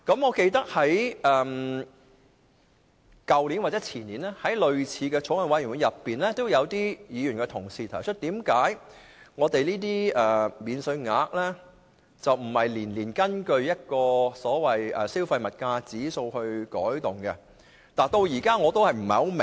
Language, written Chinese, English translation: Cantonese, 我記得在去年或前年，在類似的法案委員會中，有議員問及這些免稅額為何不每年按消費物價指數予以調整。, I recollect that at similar Bills Committees last year and the year before last some Members asked why such allowances were not adjusted based on the Consumer Price Index each year